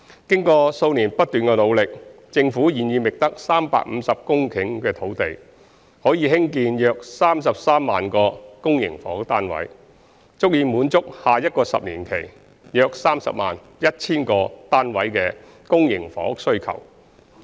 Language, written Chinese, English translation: Cantonese, 經過數年不斷的努力，政府現已覓得350公頃土地，可興建約33萬個公營房屋單位，足以滿足下一個十年期約 301,000 個單位的公營房屋需求。, After several years of efforts the Government has identified 350 hectares of land which can produce some 330 000 public housing units for the coming 10 - year period and can meet the estimated public housing demand of around 301 000 units in the same 10 - year period